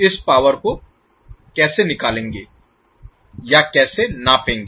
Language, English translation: Hindi, How will calculate or how will measure this power